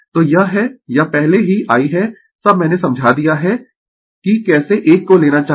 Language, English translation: Hindi, So, this is this already I all I have explained you that how one should take